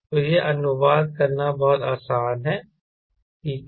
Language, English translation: Hindi, so this very easy to translate, ok, correct